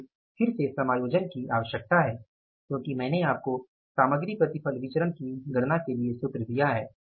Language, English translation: Hindi, So again the need for adjustment of the because I gave you that say formulas for calculating the material yield variance